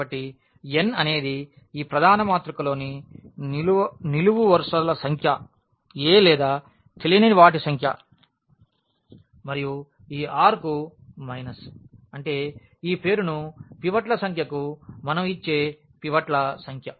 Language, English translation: Telugu, So, n is the number of the columns there in this main matrix here a or the number of unknowns and minus this r, that is the number of pivots we give this name to the number of pivots